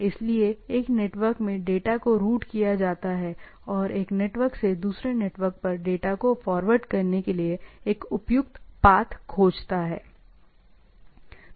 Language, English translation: Hindi, So, one network is routed to the things and rather finding a suitable path to forward a data from one network to another, right